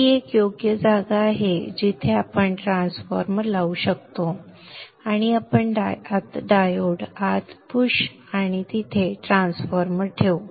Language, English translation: Marathi, This is an appropriate place where we can introduce the transformer and we will push the diode a bit inside and start placing the transformer there